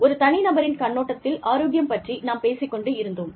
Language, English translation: Tamil, We were talking about, health, from the individual's perspective